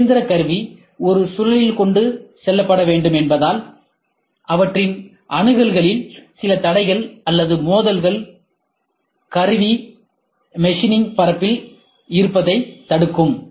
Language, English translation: Tamil, Since a machine tool must be carried in a spindle, they may be certain accessibility constraints or clashes preventing the tool from being located on the machining surface of a part